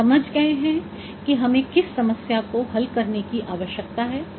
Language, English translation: Hindi, We have understood what problem we need to solve